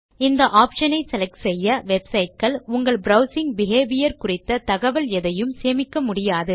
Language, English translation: Tamil, Selecting this option will stop websites from storing information about your browsing behavior